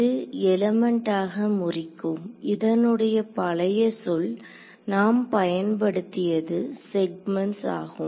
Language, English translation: Tamil, So, this is breaking up into elements, the old word we had used for it was segments ok